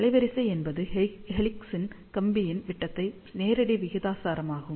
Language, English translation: Tamil, Bandwidth is directly proportional to the diameter of the helix wire